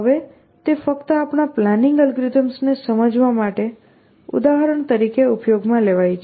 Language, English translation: Gujarati, Now, this is just using as a example to illustrate our planning algorithms